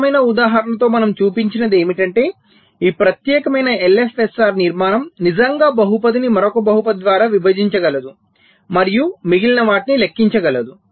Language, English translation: Telugu, so what we have shown with the simple example is that this special kind of l f s s structure can really divide a polynomial by another polynomial and compute the remainder